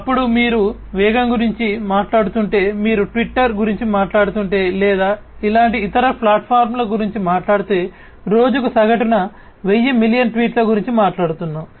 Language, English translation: Telugu, Then if you are talking about velocity, if you talk about twitter for example, or similar kind of other platforms we are talking about some 100s of millions of tweets, on average per day